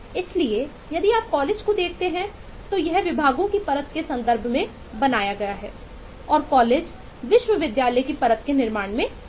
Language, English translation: Hindi, so if you look at colleges then it is built in terms of the layer of departments and colleges go in terms of building the university layer